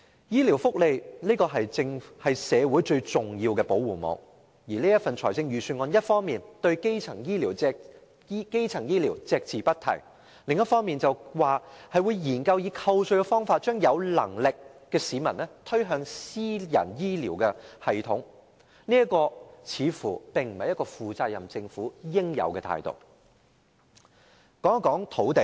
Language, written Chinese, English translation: Cantonese, 醫療福利是社會最重要的保護網，而預算案一方面對基層醫療隻字不提，另一方面則說會研究以扣稅的方法將有能力的市民推向私人醫療系統，這並非負責任政府應有的態度。, Health care benefits are the most important safety net in society . While the Budget devotes no treatment to primary health care it nonetheless proposes to study the introduction of tax deduction as a means of driving people with the means to private health care . This is not the attitude that a responsible government should hold